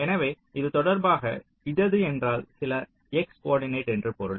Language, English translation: Tamil, so with respect to this, see left means some x coordinate